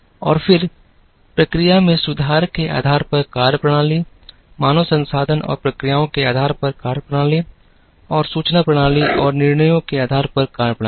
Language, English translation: Hindi, And then, methodologies based on process improvement then, methodologies based on human resources and processes, and methodologies based on information systems and decisions